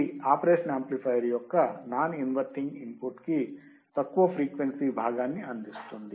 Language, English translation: Telugu, The signal is applied to the non inverting terminal of the operation amplifier